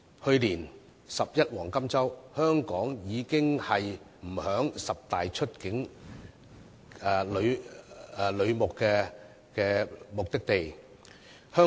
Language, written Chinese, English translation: Cantonese, 去年"十一黃金周"，香港已不在十大出境旅遊目的地之列。, During last years National Day Golden Week Hong Kong was no longer one of the top 10 tourist destinations for Mainland visitors